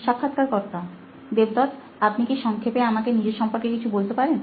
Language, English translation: Bengali, Devdat, can you just give me a brief intro about yourself